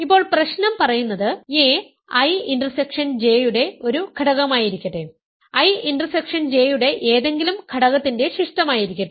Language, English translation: Malayalam, Now, the problem is saying that if so let a be an element of I intersection J, residue of any element of I intersection J